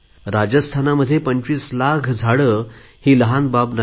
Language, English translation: Marathi, To plant 25 lakhs of sapling in Rajasthan is not a small matter